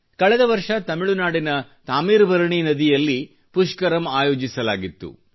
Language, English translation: Kannada, Last year the Pushkaram was held on the TaamirabaraNi river in Tamil Nadu